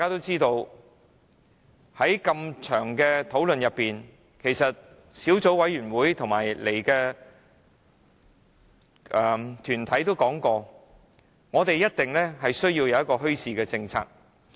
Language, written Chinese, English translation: Cantonese, 在漫長的討論過程中，小組委員會和出席的團體均曾表示，政府一定要制訂一個墟市政策。, During the lengthy discussions the Subcommittee and the deputations attending the meeting all opined that the Government should formulate a policy on bazaars